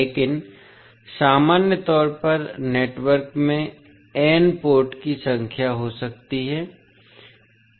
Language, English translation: Hindi, But in general, the network can have n number of ports